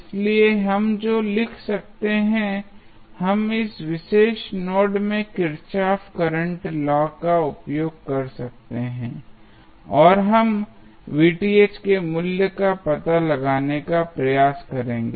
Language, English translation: Hindi, So, what we can write we can use Kirchhoff's current law at this particular node and we will try to find out the value of Vth